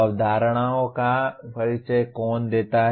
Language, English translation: Hindi, Who introduces the concepts